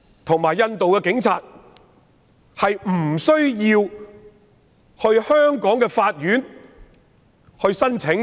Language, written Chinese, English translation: Cantonese, 他們必須向香港的法院申請。, They should apply to the courts of Hong Kong